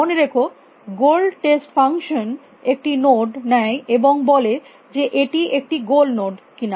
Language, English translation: Bengali, Remember the goal test function takes a node, and tells you whether it is a goal node or not